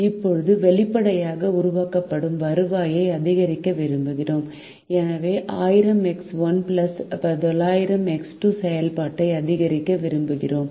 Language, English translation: Tamil, now obviously we want to maximize the revenue that is generated and therefore we wish to maximize the function: thousand x one plus nine hundred x two